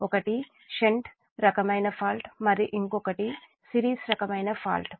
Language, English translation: Telugu, so one thing is that shunt type fault, another is series type of faults